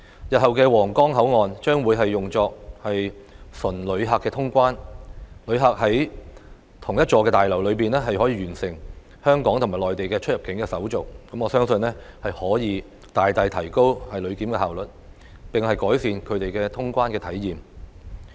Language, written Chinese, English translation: Cantonese, 日後的皇崗口岸將會用作純旅客通關，旅客在同一座大樓內就可以完成香港及內地的出入境手續，我相信可以大大提高旅檢效率，並改善他們的通關體驗。, The future Huanggang Port will be used solely for passenger clearance . As passengers can complete clearance procedures of both Hong Kong and the Mainland in the same building I believe that the efficiency of passenger clearance will be greatly enhanced and their customs clearance experiences will also be improved